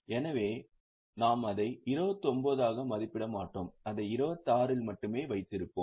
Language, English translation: Tamil, So, we will not value it at 29, we will keep it at 26 only